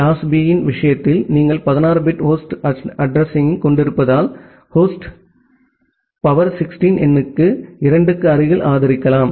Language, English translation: Tamil, In case of class B, you can support close to 2 to the power 16 number of host because you have a 16 bit of host address